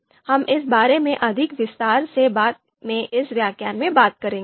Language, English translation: Hindi, We will talk about this in more detail later on later in this lecture